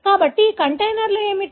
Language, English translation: Telugu, So, what are these containers